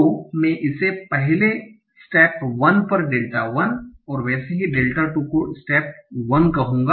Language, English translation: Hindi, So let me call it delta 1 at step 1